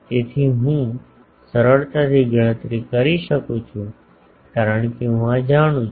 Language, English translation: Gujarati, So, that I can easily calculate because I know these